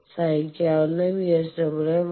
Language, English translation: Malayalam, Let us see, for VSWR of 1